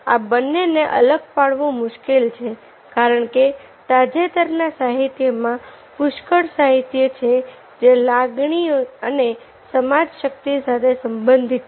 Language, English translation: Gujarati, it is difficult to differentiate the two because recent literature, plenty of literature, is their that emotion and cognition are related